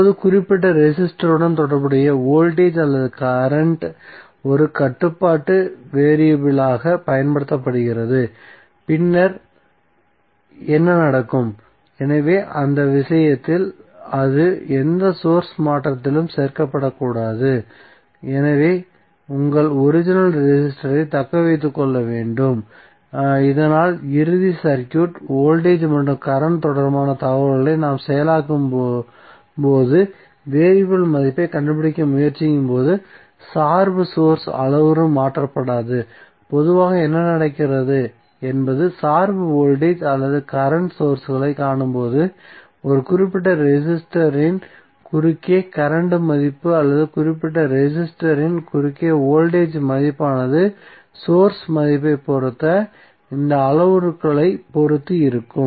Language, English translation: Tamil, Now, voltage or current associated with particular resistor is used as a controlling variable then what will happen, so in that case it should not be included in any source transformation so, in that case your original resistor must be retain so that at the final circuit when we process the information related to voltage and current and try to find out the variable value, the dependent source parameter is untouched so, generally what happens that when we see the dependent voltage or current sources the current value across a particular resistance or voltage across the resistance would be depending upon the source value would be depending upon those parameters